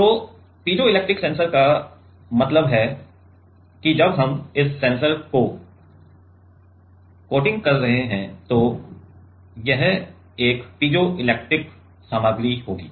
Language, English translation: Hindi, So, piezoelectric sensors mean that while we are coating this sensor this will be a piezoelectric material